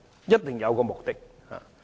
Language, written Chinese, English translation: Cantonese, 一定有其目的。, There must be a purpose